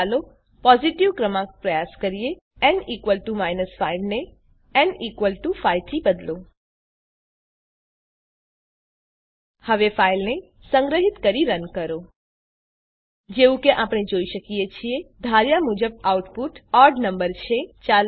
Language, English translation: Gujarati, now Let us try a positive number Change n = 5 to n = 5 NowSave and Run the file As we can see, the output is odd number as expected